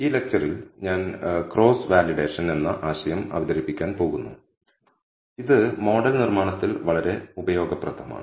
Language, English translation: Malayalam, In this lecture I am going to introduce concept called Cross Validation which is a very useful thing in model building